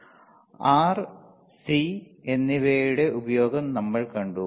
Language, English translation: Malayalam, Then we have seen the use of R and C right